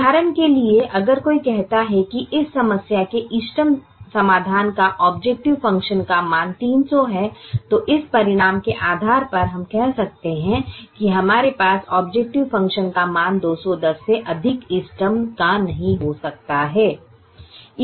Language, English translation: Hindi, this looks like a simple result, for example, if somebody says the optimum solution to this problem has an objective function value of three hundred, then based on this result, we could say: no, we cannot have the objective function value of the optimum more than two hundred and ten